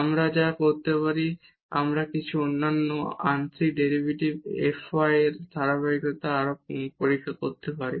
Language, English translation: Bengali, What we can do we can further test the continuity of the other partial derivative f y with respect to